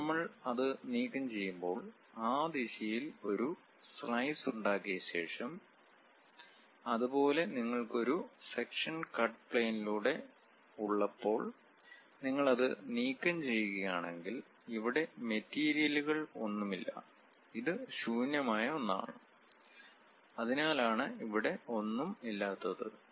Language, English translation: Malayalam, When we remove it, after making a slice in that direction; similarly, when you have a section; through cut plane if you are removing it, there is no material here, it is just blank empty vacuum that is the reason we have empty thing